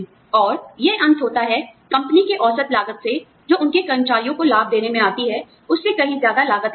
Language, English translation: Hindi, And, that ends up costing, a lot more than the average cost, of the company would have incurred, for giving benefits, to their employees